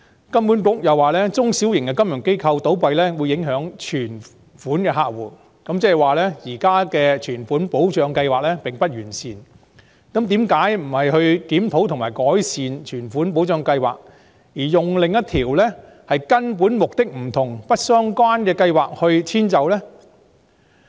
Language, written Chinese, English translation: Cantonese, 金管局又指中小型金融機構倒閉會影響有存款的客戶，這意味現時存款保障計劃並不完善，但為何不是檢討和改善存款保障計劃，而是用另一條根本目的不同而且不相關的規則來遷就呢？, HKMA indicated in addition that the failure of small and medium financial institutions would affect customers with deposits . This implies that the existing Deposit Protection Scheme is imperfect . Then why do we not review and improve the Scheme but instead use another rule with fundamentally different objectives to accommodate the situation?